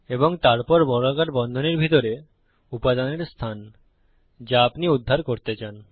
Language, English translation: Bengali, And next, inside square brackets, the position of the element if you want to retrieve